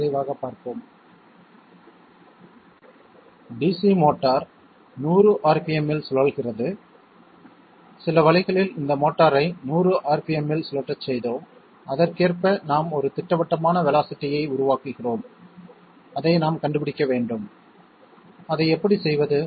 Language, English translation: Tamil, Let us have a quick look, DC motor rotates at 100 rpm okay by some means were making this motor rotate at 100 rpm and corresponding to this we are developing a definite velocity, we have to find that out, so how do we do that